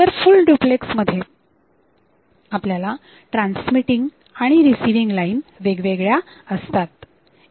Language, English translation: Marathi, On other hand in case of full duplex we have separate transmission and receiving time lines